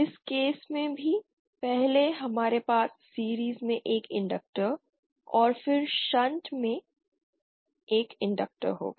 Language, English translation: Hindi, In this case also first we will have inductor in series and then an inductor in shunt